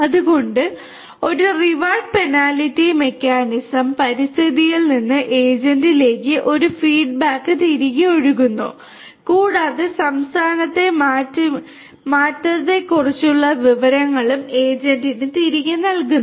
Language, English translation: Malayalam, So, a reward penalty kind of mechanism, a feedback from the environment to the agent flows back and also the information about the change in the state is also fed back to the agent